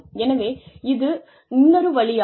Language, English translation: Tamil, So, that is one more way